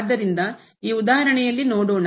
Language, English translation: Kannada, So, let us see in this example